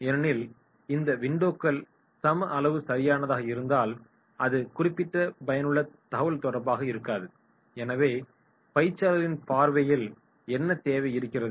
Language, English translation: Tamil, Because if these windows are of equal size right then it may not be that particular effective communication, so what is required from trainees’ point of view